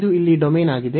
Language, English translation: Kannada, So, this is the domain here